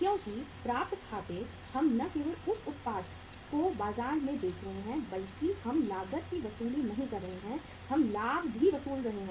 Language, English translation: Hindi, Because accounts receivable we are not only while selling that product in the market we are not recovering the cost, we are recovering the profit also